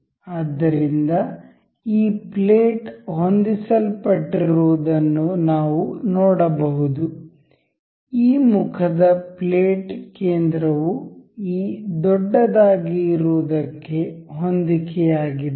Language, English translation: Kannada, So, we can see the this plate is getting aligned, the plate center of this face is getting aligned to this larger one